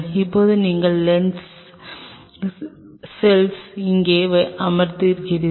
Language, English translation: Tamil, Now you are cells are sitting out here